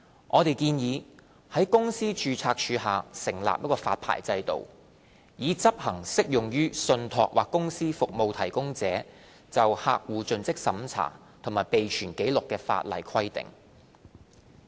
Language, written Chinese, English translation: Cantonese, 我們建議於公司註冊處下成立發牌制度，以執行適用於信託或公司服務提供者就客戶作盡職審查及備存紀錄的法例規定。, We have proposed to introduce a licensing regime under the Companies Registry to enforce the proposed statutory CDD and record - keeping requirements applicable to TCSPs